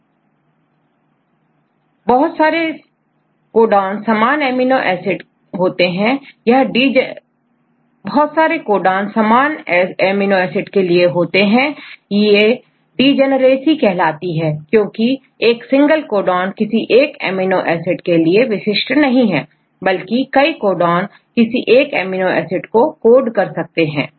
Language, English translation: Hindi, So, there are several codons which code for same amino acid that is called the degeneracy; not one triple single codon to one right same different codons, they code for the same amino acids